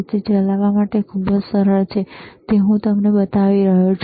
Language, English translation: Gujarati, It is very easy to operate, that is what I am I am showing it to you